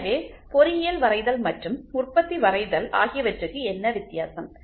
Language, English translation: Tamil, So, what is the difference between the engineering drawing and manufacturing drawing